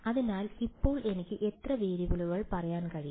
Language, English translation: Malayalam, So, now how many variables can I say